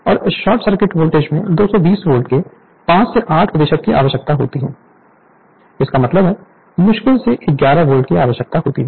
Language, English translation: Hindi, So, short circuit voltage you need 5 to 8 percent of 220 Volt; that means, your 5 to 8 percent means roughly your 5 percent of 220 Volt means hardly 11 volt